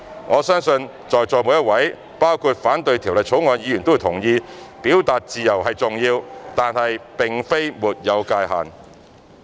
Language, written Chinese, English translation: Cantonese, 我相信在座每一位，包括反對《條例草案》的議員都會同意，表達自由是重要的，但並非沒有界限。, I believe everyone present in the Chamber including those Members who oppose the Bill would agree that whilst the freedom of expression is essential it is not without limits